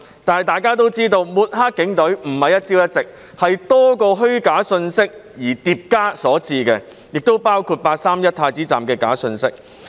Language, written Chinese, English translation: Cantonese, 大家都知道，抹黑警隊不是一朝一夕，而是多個虛假信息疊加所致，亦包括"八三一太子站"的假信息。, We all know that the Police are discredited not overnight but as a result of accumulation of multiple false messages including those about the incident at Prince Edward Station on 31 August